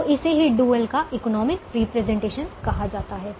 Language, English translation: Hindi, so this is called economic interpretation of the dual